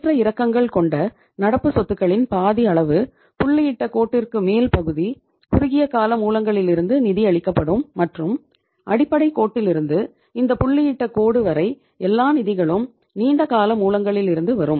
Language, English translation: Tamil, Half of the fluctuating current assets will be financed from the short term sources of the funds above this dotted line and up to this dotted line right from the first base line up to the dot half means up to this dotted line all the funds will come from the long term sources